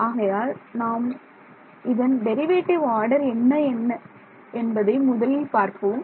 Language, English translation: Tamil, So, first of all let us see what order of derivative is there second order derivative right